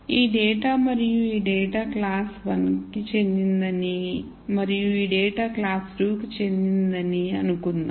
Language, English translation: Telugu, So, let us assume that this data and this data belongs to class 1 and this data belongs to class 2